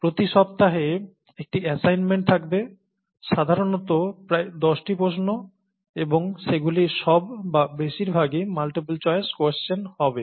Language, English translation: Bengali, There will be an assignment every week, typically about ten questions, and all of them or most of them would be multiple choice questions